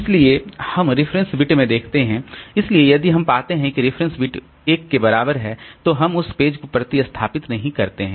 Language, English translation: Hindi, So, if we search out a page for which the reference bit is 0, then that page will be replaced